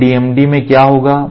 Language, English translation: Hindi, So, in DMDs What will happen